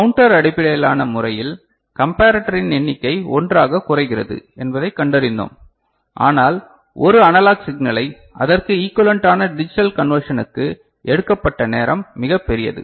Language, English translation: Tamil, And in the counter based method we found that the number of comparator reduces to 1, but the time taken to convert, an analog signal to corresponding digital equivalent is quite large